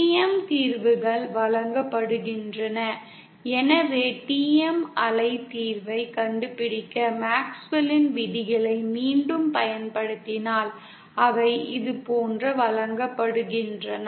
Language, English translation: Tamil, The TM solutions are given as so if we again apply the MaxwellÕs laws to find the TM wave solution they are given like this